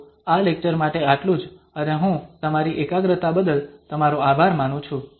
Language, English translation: Gujarati, So, that is all for this lecture and I thank you for your attention